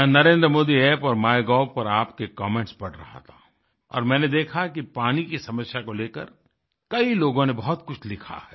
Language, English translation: Hindi, I was reading your comments on NarendraModi App and Mygov and I saw that many people have written a lot about the prevailing water problem